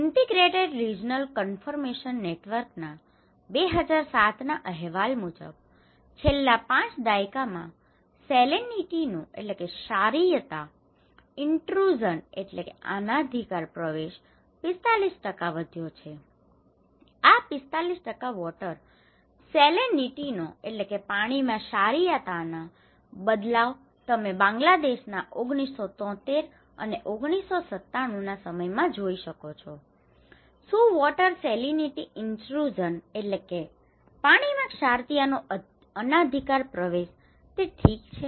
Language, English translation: Gujarati, Integrated Regional Information Network, 2007 reporting salinity intrusion has risen by 45% in the last 5 decades, 45%, you can see this one in 1973 and 1997, how this is changing, you know water salinity in Bangladesh, is water salinity intrusion okay, so, these all red areas are actually water saline areas